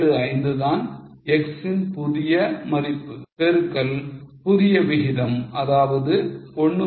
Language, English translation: Tamil, 75 is the new value of x into new rate that is 4